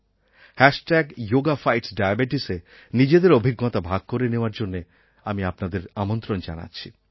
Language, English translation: Bengali, I urge you to use "Hashtag Yoga Fights Diabetes" I repeat "Hashtag Yoga Fights Diabetes"